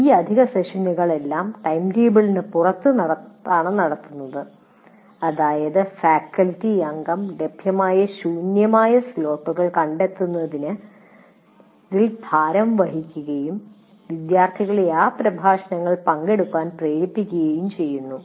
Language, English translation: Malayalam, First of all, these additional sessions are conducted outside the timetable, which means the faculty member is burdened with finding out empty slots or available slot, perciate the fact students to come and attend those lectures and so on and on